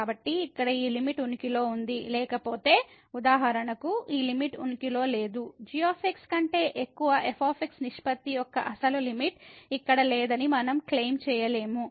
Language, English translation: Telugu, So, this limit here exist otherwise for example, this limit does not exist we cannot claim that the original limiter here of the ratio over does not exist